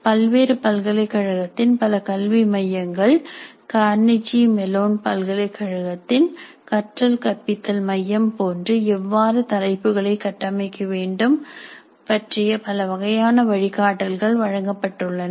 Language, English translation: Tamil, Several other education centers of several universities do provide some kind of guidelines on how these rubrics can be constructed like the teaching learning teaching center of Carnegie Mellon University